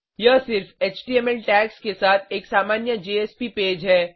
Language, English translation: Hindi, It is a simple JSP page with HTML tags only